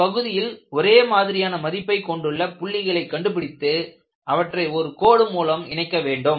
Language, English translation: Tamil, So, you find out points in this domain which has a constant value and join them together by a line